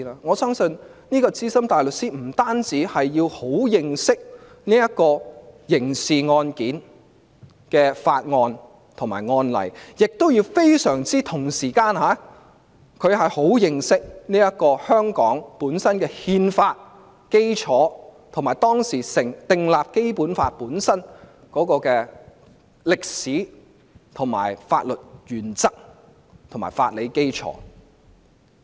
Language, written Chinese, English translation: Cantonese, 我相信資深大律師不單要熟悉刑事案件的法案及案例，同時亦要非常認識香港本身的憲法基礎，以及當時訂立《基本法》的歷史、法律原則及法理基礎。, I believe the Senior Counsel concerned has to be very familiar with criminal laws and criminal cases; also they have to know by heart the constitutional foundation of Hong Kong as well as the history about the enactment of the Basic Law and its legal principles and basis